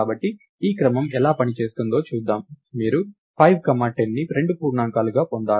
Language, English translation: Telugu, So, lets see how this sequence would have worked, you would have received, lets say 5 comma 10 as the two integers